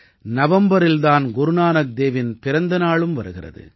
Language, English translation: Tamil, It is also the birth anniversary of Guru Nanak Dev Ji in November